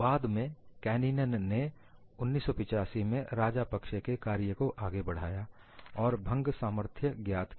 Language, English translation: Hindi, And later Kanninen in 1985 had extended the work of Rajapakse and determined the fracture strength